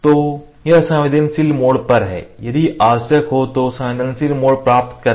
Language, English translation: Hindi, So, this is engagement of sensitive mode engage sensitive mode if it is required